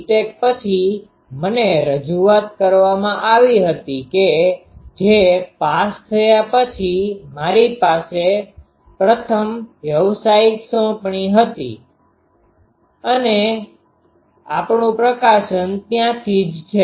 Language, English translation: Gujarati, Tech I was introduced to that that was my first professional assignment after passing out and we have a publication from there